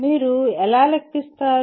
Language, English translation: Telugu, That is how do you calculate